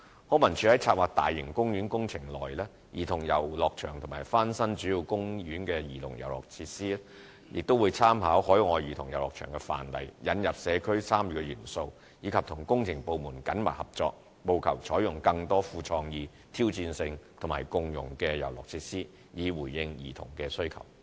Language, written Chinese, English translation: Cantonese, 康文署在策劃大型公園工程內的兒童遊樂場和翻新主要公園的兒童遊樂場設施時，會參考海外兒童遊樂場的範例、引入社區參與元素，以及與工程部門緊密合作，務求採用更多富創意、挑戰性及共融的遊樂設施，以回應兒童需求。, LCSD will draw reference from overseas examples bring in more community involvement and work in close collaboration with the relevant works departments with a view to providing more innovative challenging and inclusive play equipment in planning childrens playgrounds in large public park projects and renovating the play equipment at childrens playgrounds in major public parks to meet the needs of children